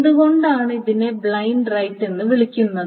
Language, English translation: Malayalam, Why is it called a blind right